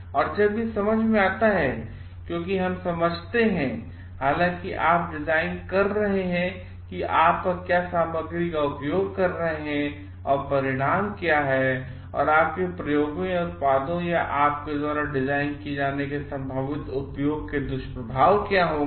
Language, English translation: Hindi, and also when it comes to towards like because we understand, however you are designing what is the material that you are using and what is the outcome and what would be the possible side effects of your experiments or the products or the design that you are doing